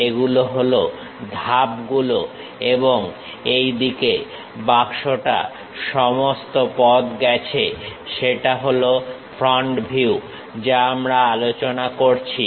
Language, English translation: Bengali, These are the steps and the box goes all the way in this way, that is the front view what we are discussing